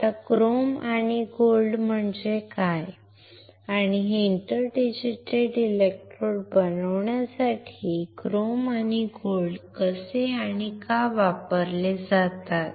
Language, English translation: Marathi, Now, what is chrome and gold and how and why chrome and gold are used for for making these inter digitated electrodes